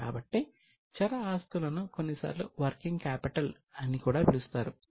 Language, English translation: Telugu, Those current assets are also sometimes known as working capital